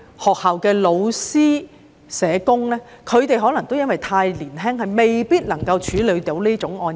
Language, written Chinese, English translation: Cantonese, 學校的老師和社工可能因為太年輕，未必能夠處理這類案件。, School teachers and social workers may be too young to deal with these cases